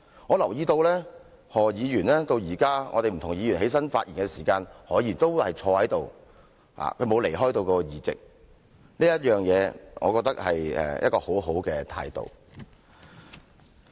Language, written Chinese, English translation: Cantonese, 我留意到何議員直到現在，不同議員站立發言的時候，何議員都坐在這裏，他沒有離開座位，這我覺得是一個很好的態度。, He actually demonstrates his patience and magnanimity as I have noticed that he has been in his seat all along when other Members rise and speak . This is a very fine attitude indeed